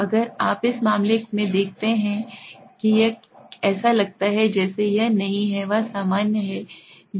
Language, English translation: Hindi, So if you see in this case it look as if it is not a, it is normal